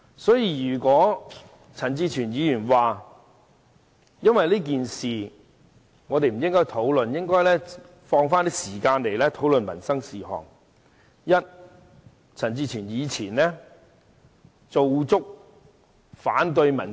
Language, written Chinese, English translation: Cantonese, 所以，陳志全議員說我們不應就這件事進行辯論，而應把時間留作討論民生事項，我要提出兩點回應。, Hence regarding Mr CHAN Chi - chuens remark that this Council should cease the debate on the incident to spend the time on discussions about livelihood issues I would like to raise two points in response